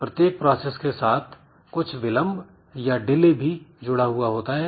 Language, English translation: Hindi, So, every process has got some delay associated with it